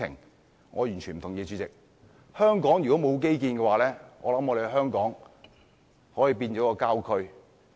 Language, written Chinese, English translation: Cantonese, 代理主席，我完全不同意，香港如果沒有基建，可能已經變成郊區。, Deputy Chairman I cannot agree with this view at all . Without infrastructure Hong Kong will become a rural area